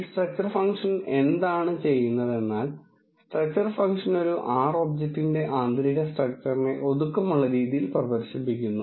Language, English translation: Malayalam, What does this structure function do, structure function compactly display the internal structure of an R object